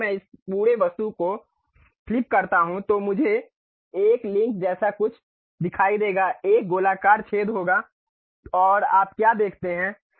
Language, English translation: Hindi, If I flip this entire object I will see something like a link, there will be a circular hole and there is what do you see